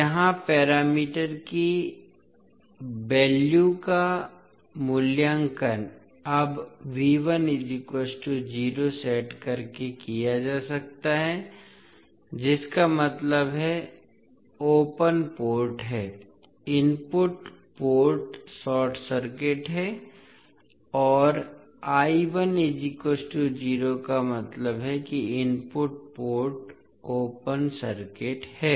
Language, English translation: Hindi, Here the value of parameters can be evaluated by now setting V 1 is equal to 0 that means input port is short circuited and I 1 is equal to 0 that means input port is open circuited